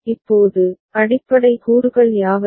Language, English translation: Tamil, Now, what are the basic components